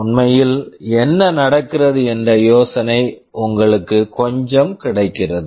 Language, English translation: Tamil, You get some idea what is actually happening